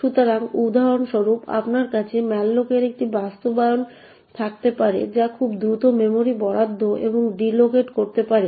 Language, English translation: Bengali, So, for instance you may have one implementation of malloc which very quickly can allocate and deallocate memory